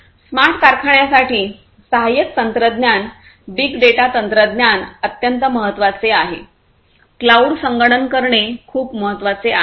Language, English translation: Marathi, Supporting technologies for smart factories, big data technology is very important, cloud computing is very important